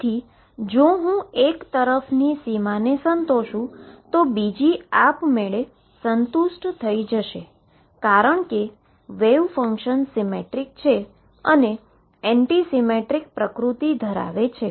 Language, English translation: Gujarati, So, if I satisfy dot on one side the other side will automatically be satisfied, because of the symmetric and anti symmetric nature of wave function that we have already taken care of